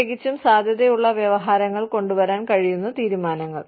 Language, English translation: Malayalam, Especially, decisions, that can bring, potential lawsuits